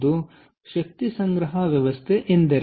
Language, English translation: Kannada, all right, so what is energy storage system